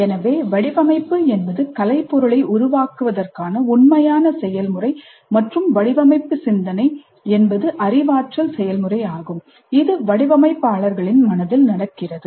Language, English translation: Tamil, So design is the actual process of creating the artifact and the thinking is, design thinking is the cognitive process which goes through in the minds of the designers